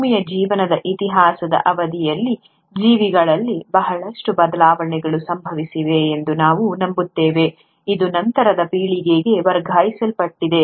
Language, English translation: Kannada, We believe, during the course of history of earth’s life, a lot of changes happened in organisms which went on, being passed on to subsequent generations